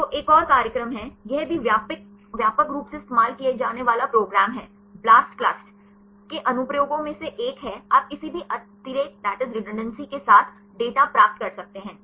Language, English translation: Hindi, So, there is another program; this is also widely used program one of the applications of Blastclust is you can get the data with any redundancy